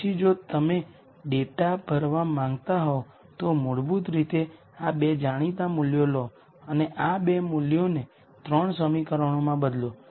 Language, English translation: Gujarati, Then if you want to fill this data what you do is basically take these two known values and substitute these two values into the 3 equations